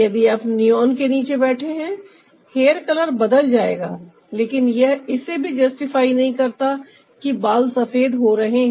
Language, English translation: Hindi, if you are sitting underneath the neon, the hair color will change, but that doesn't also justify that the hair is grey